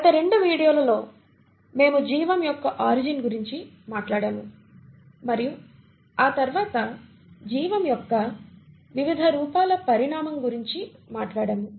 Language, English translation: Telugu, In the last 2 videos we did talk about the origin of life and then the evolution different forms of life